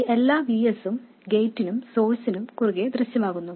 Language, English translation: Malayalam, All of this VS appears across the gate and source